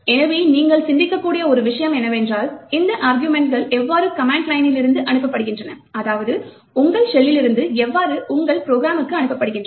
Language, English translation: Tamil, So, one thing that you could think about is how are these arguments actually passed from the command line that is from your shell to your program